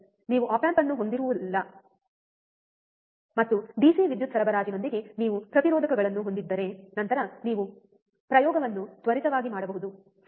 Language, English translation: Kannada, Where you have op amp and if you have the resistors with DC power supply, then you can perform the experiment quickly, right